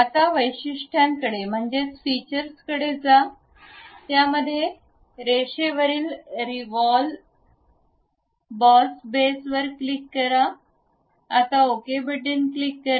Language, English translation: Marathi, Now, go to features, click revolve boss base, above that centre line, now click ok